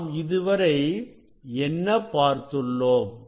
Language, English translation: Tamil, What we have seen